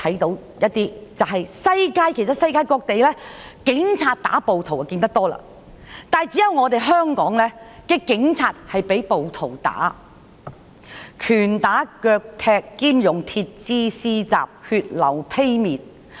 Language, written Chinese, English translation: Cantonese, 代理主席，世界各地，警察打暴徒是常見的事，但只有香港的警察被暴徒打，拳打腳踢兼用鐵枝施襲，導致血流披面。, Deputy President in other places of the world it is common for police officers to beat up rioters yet in Hong Kong police officers were beaten up by rioters . Police officers being punched kicked and hit with metal rods were bleeding over their face